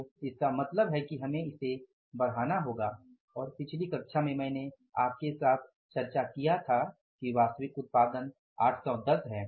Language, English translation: Hindi, So, it means we have to upscale it and in the previous class I discussed with you that actual production is 810